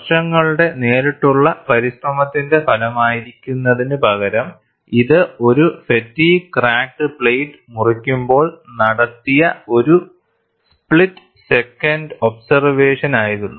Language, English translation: Malayalam, Rather than being the result of years of directed effort, it was a split second observation made, while cutting up a fatigue cracked plate